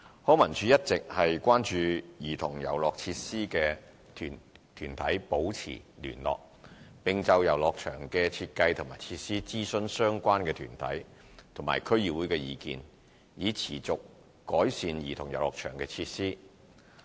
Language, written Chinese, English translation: Cantonese, 康文署一直與關注兒童遊樂設施的團體保持聯絡，並就遊樂場的設計及設施諮詢相關團體及區議會的意見，以持續改善兒童遊樂場設施。, LCSD has been liaising with concern groups on childrens play equipment and consulting them and the District Councils concerned on the design and play equipment in childrens playgrounds for continuous improvement